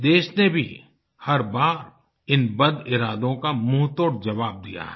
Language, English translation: Hindi, The country too has given a befitting reply to these illintentions every time